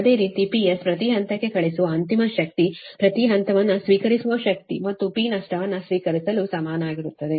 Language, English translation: Kannada, similarly, p s per phase sending end power is equal to receive per phase receiving power plus p loss